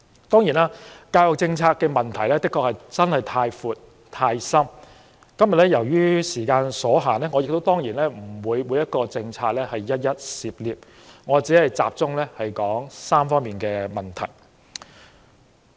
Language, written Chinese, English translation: Cantonese, 當然，教育政策問題的確太深太闊，而今天由於時間所限，我當然不會涉獵每項政策，我只會集中說3方面的問題。, The problems with the education policy are indeed far too deep and wide; and with the limited time today I will only focus on three of them